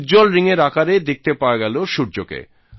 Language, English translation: Bengali, The sun was visible in the form of a shining ring